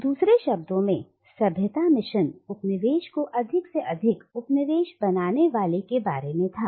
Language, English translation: Hindi, So, in other words, the civilising mission was about making the colonised more and more like the coloniser